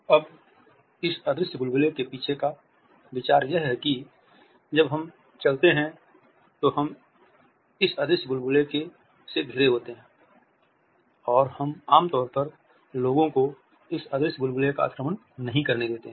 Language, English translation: Hindi, Now, the idea behind this invisible bubble is that, when we walk we are surrounded by this invisible bubble and we normally do not allow people to encroach upon this invisible bubble